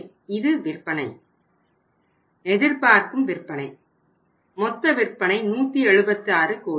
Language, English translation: Tamil, So this is the sales, expected sales, 176 total sales 176 crores